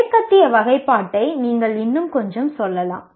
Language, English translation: Tamil, This you can say a little more of Western way of classification